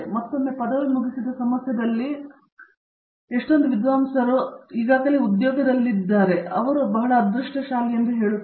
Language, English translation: Kannada, Again, I would say I have been very lucky that all my scholars at the time of finishing have been already placed in a job